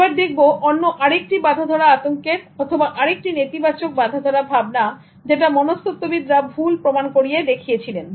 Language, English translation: Bengali, Look at another stereotype threat or another negative stereotype that psychologists have disproved